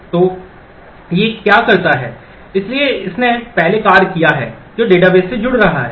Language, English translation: Hindi, So, what it does is, so this is this has done the first task which is connecting to the database